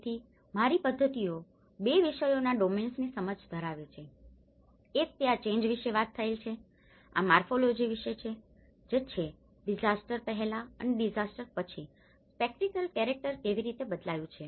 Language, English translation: Gujarati, So, my methods have started understanding from two subject domains, one is talking about the change which is about this morphology which how the spatial character has changed before disaster and after disaster